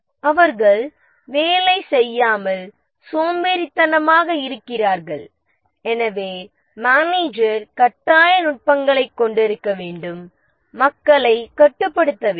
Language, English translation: Tamil, They have a tendency to ledge around not work and therefore the manager needs to have coercive techniques, control the people